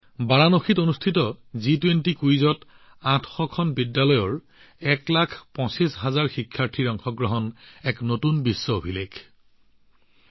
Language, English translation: Assamese, 25 lakh students from 800 schools in the G20 Quiz held in Varanasi became a new world record